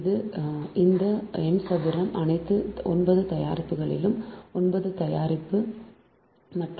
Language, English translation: Tamil, so all these n square all nine product